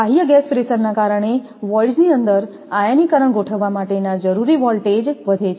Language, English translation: Gujarati, Because, of external gas pressure the voltage required to set up ionization inside the voids is increased